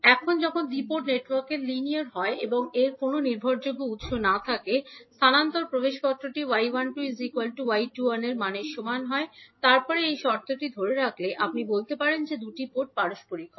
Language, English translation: Bengali, Now, when the two port network is linear and it has no dependent sources, the transfer admittance will be equal to y 12 is equal to y 21 and then if this condition holds, you can say that two port is reciprocal